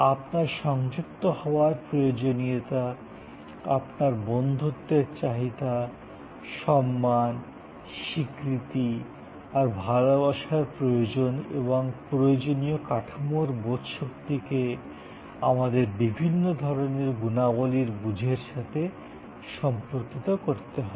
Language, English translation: Bengali, To your need of association to need of friendship with fellow beings to your need of a steam, to your need for respect recognition, love and that understanding of the need structure has to be co related with this our understanding of the different types of qualities that we discussed